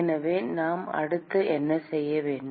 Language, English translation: Tamil, So, what should we do next